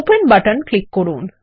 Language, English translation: Bengali, Click on the Open button